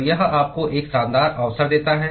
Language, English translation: Hindi, So, this gives you an elegant opportunity